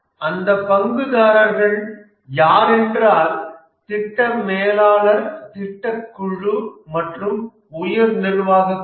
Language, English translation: Tamil, And here the internal stakeholders are the project manager, the project team, and the top management